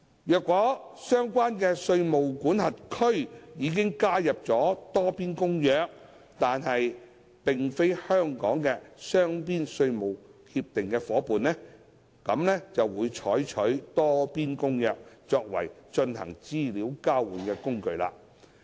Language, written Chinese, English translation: Cantonese, 若相關的稅務管轄區已加入《多邊公約》但並非香港的雙邊稅務協定夥伴，便會採用《多邊公約》作為進行資料交換的工具。, The Multilateral Convention will be used as the instrument for EOI if the jurisdiction concerned is a party to the Multilateral Convention but not a bilateral tax treaty partner of Hong Kong